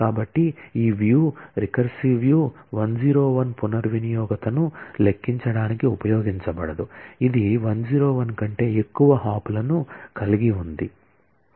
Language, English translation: Telugu, So, this view, recursive view cannot be used to compute any reachability, which has more than 101 hops